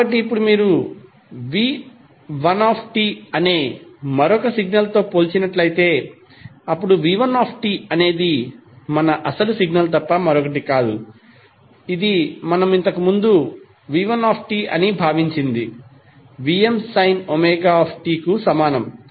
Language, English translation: Telugu, So, now if you compare with another signal which is V1T and V1T is nothing but our original signal which we considered previously, that is V1 t is equal to vm sine omega t